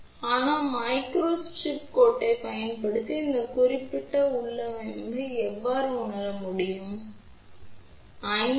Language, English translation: Tamil, But, let us see how we can realize this particular configuration using micro strip line